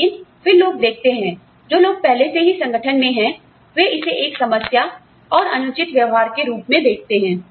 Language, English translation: Hindi, But, then people see, people who are already in the organization, see this as a problem, and unfair